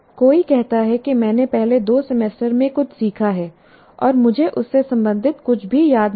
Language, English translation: Hindi, Somebody says, I have learned something in the two semesters earlier and I don't remember anything related to that